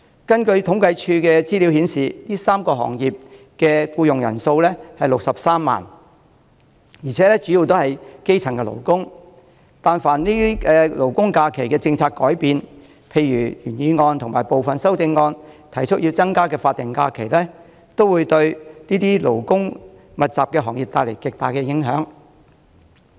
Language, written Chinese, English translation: Cantonese, 政府統計處的資料顯示，上述3個行業的僱員人數為63萬，而且主要是基層勞工，但凡勞工假期的政策有轉變，例如原議案和部分修正案提出要增加的法定假日，均會對這些勞工密集的行業帶來極大的影響。, According to the information of the Census and Statistics Department there are a total of 630 000 employees in the three above mentioned businesses the majority of which are grass - roots workers . Whenever there is any change to our labour holiday policy eg . increasing the number of statutory holidays as proposed in the original motion and some of the amendments it will have a tremendous effect on the labour - intensive trades